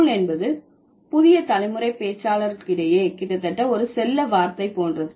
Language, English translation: Tamil, Cool is a word which is, which has almost like a pet word in the new generation, like among the new generation speakers